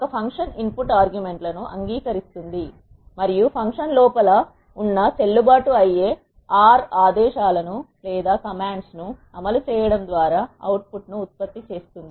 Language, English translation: Telugu, A function accepts input arguments and produces the output by executing valid R commands that are inside the function